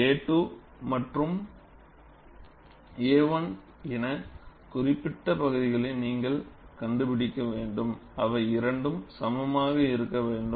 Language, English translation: Tamil, And you will have to find out the areas marked as A 2 and A 1 such that, they are equal